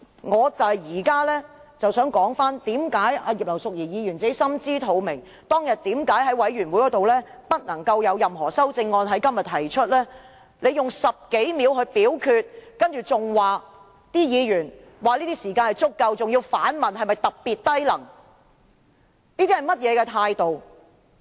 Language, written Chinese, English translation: Cantonese, 我只想說，葉劉淑儀議員心知肚明，當日為何在法案委員會會議上表明不能在今天提出任何修正案，因為她用10多秒來進行表決，還說議員已有足夠時間，更反問議員是否特別低能，這算是甚麼態度？, I just wish to say Mrs Regina IP should be well aware why she said at the Bills Committee meeting that Members could not propose any amendments at todays meeting . The reason was that she merely spent more than 10 seconds on the voting and said that Members should have enough time . She even challenged if Members were so incompetent